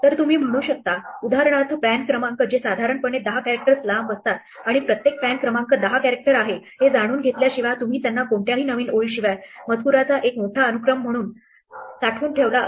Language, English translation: Marathi, So, you might have say, for example, pan numbers which are typically 10 characters long and you might have just stored them as one long sequence of text without any new lines knowing that every pan number is 10 characters